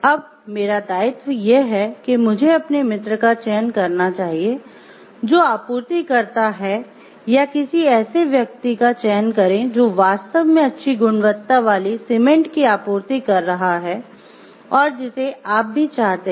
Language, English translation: Hindi, And then, obligation comes in the terms of like should I select my friend who is the supplier or select someone who is really giving a good quality of cement or the supply that you want for